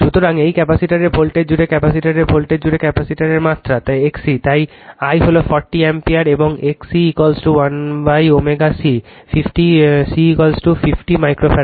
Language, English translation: Bengali, So, voltage across this capacitor voltage across capacitor magnitude I X C right so, I is 40 ampere, and X C is equal to 1 upon omega C, C is equal to 50 micro farad